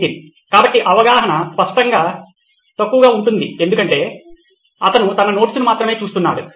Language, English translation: Telugu, So understanding will obviously be low because he is only looking at his notes